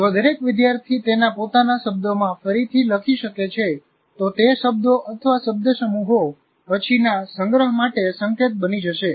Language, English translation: Gujarati, Each one is able to rewrite in their own words, those words or phrases will become cues for later storage